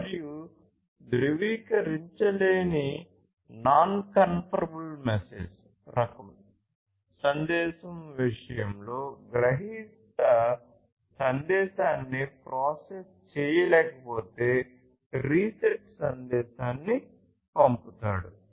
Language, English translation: Telugu, And, in case of non confirmable type message the recipient sends the reset message if it cannot process the message